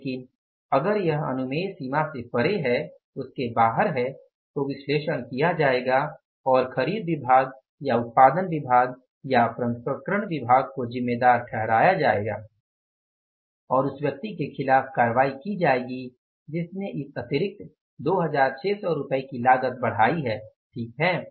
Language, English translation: Hindi, But if it is beyond the permissible range, then the analysis will be done and whether the purchase department or the production department or the processing departments will be held responsible and the action will be taken against the person who has caused this extra cost of the material by a sum of rupees 2,600s